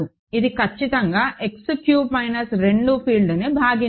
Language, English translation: Telugu, It is not certainly splitting field of X cube minus 2, right